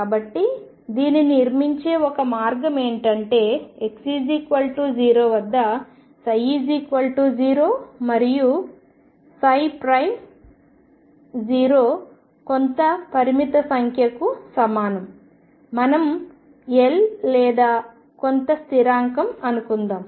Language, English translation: Telugu, So, one way of constructing could be start at x equal to 0 with psi 0 equals 0 and psi prime 0 equals some finite number let us say 1 or some constant